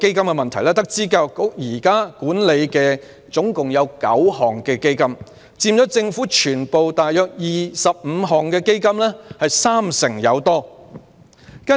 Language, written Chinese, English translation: Cantonese, 教育局現時共管理9個基金，佔政府約25個基金三成多。, The Education Bureau currently manages nine funds accounting for more than 30 % of 25 government funds